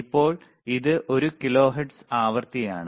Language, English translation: Malayalam, Right now, it is one kilohertz frequency,